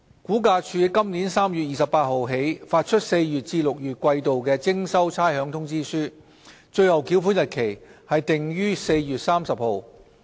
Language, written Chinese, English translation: Cantonese, 估價署今年3月28日起發出4月至6月季度的徵收差餉通知書，"最後繳款日期"定於4月30日。, RVD started issuing on 28 March this year the demand notes for rates payment for the quarter of April to June and the Last Day for Payment was set on 30 April